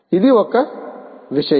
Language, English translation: Telugu, this is one thing